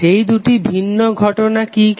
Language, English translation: Bengali, What are the two different cases